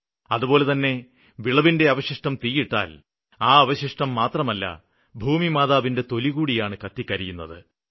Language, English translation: Malayalam, So burning the stump of crops not only burns them, it burns the skin of our motherland